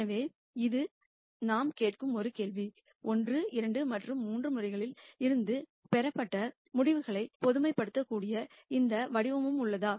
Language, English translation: Tamil, So, that is a question that we are asking, is there any form in which the results obtained from cases 1, 2 and 3 can be generalized